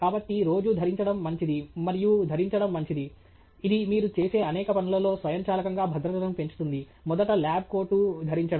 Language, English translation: Telugu, So, common things that are good to have and good to wear on a regular basis, which makes automatically build safety into many of the things that you do are first of all to wear a lab coat